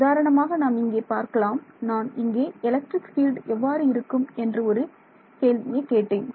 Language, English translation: Tamil, So, for example, let us say that here, I want what I am asking what is electric field over here that is the question